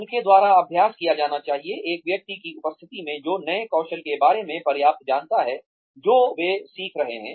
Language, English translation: Hindi, Should be practiced by them, in the presence of a person, who knows enough about the new skills that they are learning